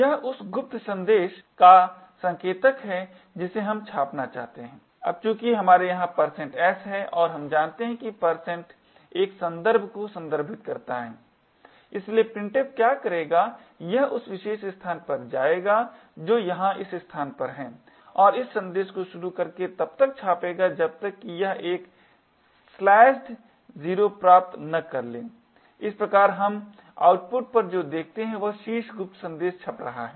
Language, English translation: Hindi, This is the pointer to the secret message that we want to get printed, now since we have a % s here and we know that % refers to a reference therefore what printf would do is it would go to that particular location which is this location over here and start to print this message until it obtains a slashed 0 thus what we observe on the output is the top secret message getting printed